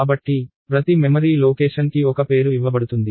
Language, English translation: Telugu, So, every memory location is given a name